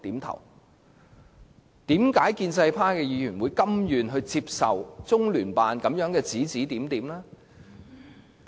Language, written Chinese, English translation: Cantonese, 為何建制派議員甘願接受中聯辦的指指點點？, Why are Members of the pro - establishment camp so willing to follow the instructions of LOCPG?